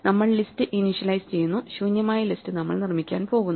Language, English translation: Malayalam, So, we first initialize our list that we are going to produce for the empty list